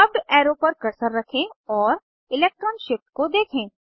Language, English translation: Hindi, Place the cursor on the curved arrow and observe the electron shift